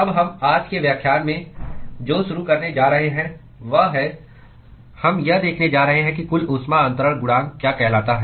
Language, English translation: Hindi, Now, what we are going to start with in today lecture is, we are going to look at what is called the Overall heat transfer coefficient